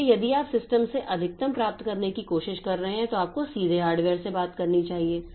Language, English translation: Hindi, So, the if you are trying to get maximum from the system, then you should talk directly to the hardware